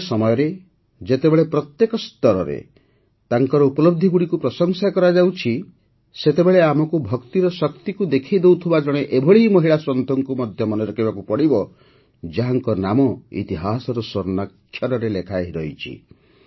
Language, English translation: Odia, In this era, when their achievements are being appreciated everywhere, we also have to remember a woman saint who showed the power of Bhakti, whose name is recorded in the golden annals of history